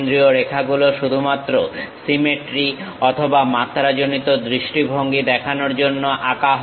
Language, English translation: Bengali, Center lines are drawn only for showing symmetry or for dimensioning point of view